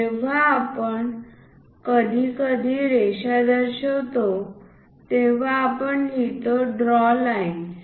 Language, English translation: Marathi, When we are showing dimensions occasionally, we write draw lines